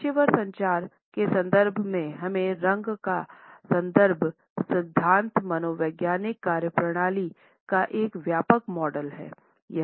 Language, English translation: Hindi, In the context of professional communication, we also have to look at the color in context theory which is a broad model of color and psychological functioning